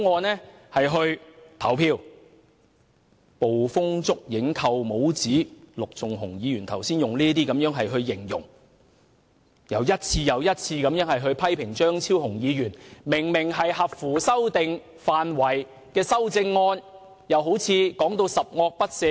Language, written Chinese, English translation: Cantonese, 陸頌雄議員剛才用"捕風捉影"、"扣帽子"等字眼來形容另一位議員的評論，並一次又一次地批評張超雄議員明明合乎修訂範圍的修正案，說成十惡不赦一般。, Just now Mr LUK Chung - hung used such words as unfounded and labelling to describe another Members comments and criticized Dr Fernando CHEUNGs clearly admissible amendments over and over again as if they were too wicked to be pardoned